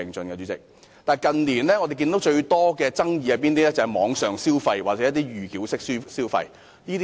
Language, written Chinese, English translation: Cantonese, 然而，近年發生最多的爭議，就是網上消費或預繳式消費。, However most disputes that happened in recent years were related to online consumption or pre - payment mode of consumption